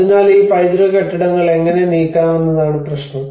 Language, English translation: Malayalam, So the problem is how to move these heritage buildings